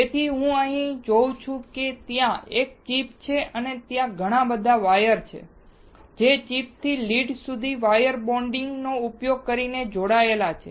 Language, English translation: Gujarati, So, what can I see here is that there is a chip and there are multiple wires that are connected from the chip to the lead using wire bonding